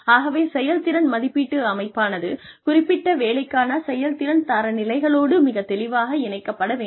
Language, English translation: Tamil, So, the performance appraisal system should be, very clearly connected to the performance standards, for a particular job, to the benchmarks, that we set, for a particular job